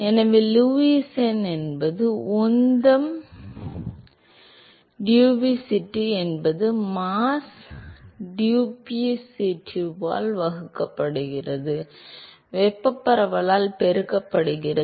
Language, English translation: Tamil, So, Lewis number is given by that is momentum diffusivity divided by mass diffusivity, multiplied by thermal diffusivity divided by mass diffusivity